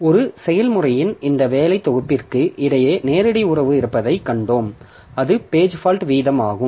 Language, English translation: Tamil, And we have seen that there are direct relationship between this working set of a process and the page fault rate